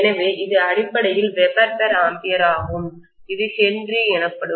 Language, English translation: Tamil, So this is essentially Weber per ampere which is Henry